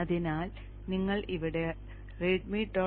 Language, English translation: Malayalam, So open that readme